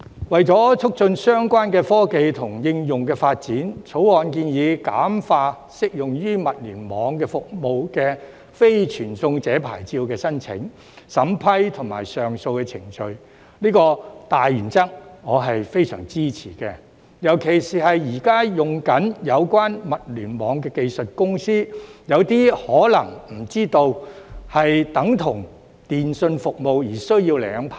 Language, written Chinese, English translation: Cantonese, 為了促進相關科技和應用發展，《條例草案》建議簡化適用於物聯網服務的"非傳送者牌照"的申請、審批及上訴程序，這個大原則我是非常支持的，尤其是現正使用有關物聯網技術的公司，有些可能不知道這等同電訊服務而需要領牌。, In order to facilitate the development of related technologies and applications the Bill proposes to simplify the application approval and appeal procedures for non - carrier licences applicable to IoT services . I very much support this general principle not least because some companies that are using the IoT technology may not know that this is equivalent to telecommunications services and a licence is required